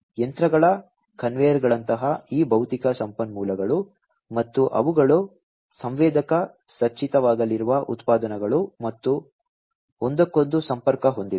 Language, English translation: Kannada, These physical resources like machines conveyors and the products they are going to be sensor equipped and are connected to one another